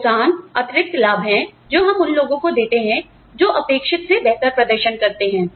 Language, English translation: Hindi, Incentives are additional benefits, we give to people, who perform better than, what is expected